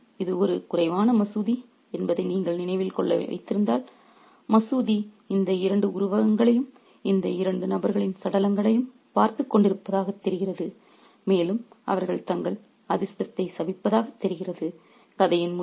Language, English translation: Tamil, The decrepit mosque, if you remember this is a rundown mosque and the mosque seems to be watching these two figures, the dead bodies of these two figures and they seem to be cursing their fortunes